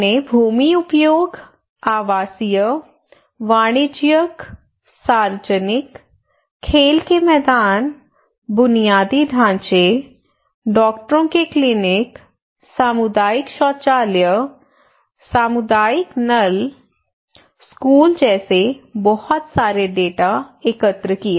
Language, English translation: Hindi, We collected a lot of data there starting from land use data, residential, commercial, public, playground, infrastructure what are the infrastructures are there, Doctors clinic, community toilet, community taps, school